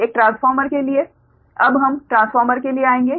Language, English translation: Hindi, we will come now to the transformer